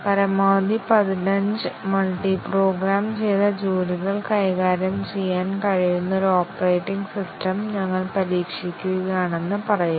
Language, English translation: Malayalam, Let us say we are testing an operating system, which can handle maximum of fifteen multiprogrammed jobs